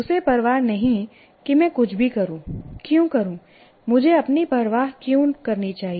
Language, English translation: Hindi, He doesn't care whether whatever I do, why should I care myself